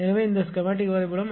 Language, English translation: Tamil, So, this is schematic diagram